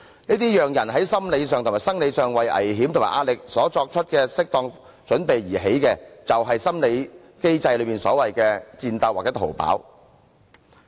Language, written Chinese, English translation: Cantonese, 這些讓人在心理上和生理上為危險和壓力作出的適當準備，就是心理機制所謂的"戰鬥"或"逃跑"。, These reactions through which proper preparations can be made psychologically and physically for danger and stress are part of the so - called fight or flight psychological mechanism